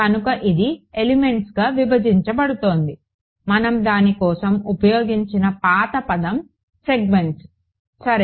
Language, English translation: Telugu, So, this is breaking up into elements, the old word we had used for it was segments ok